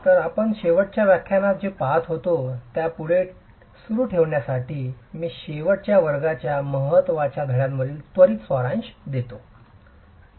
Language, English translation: Marathi, So, to continue with what we were looking at in the last lecture, let me just quickly summarize the key takeaways from the last class